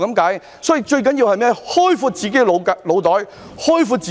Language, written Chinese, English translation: Cantonese, 因此，最重要的是開闊自己的腦袋和空間。, Therefore the most important thing is to broaden our mind and horizon